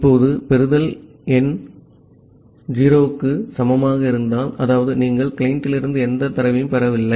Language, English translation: Tamil, Now, if receiveLen is equal to equal to 0; that means, you are not receiving any data from the client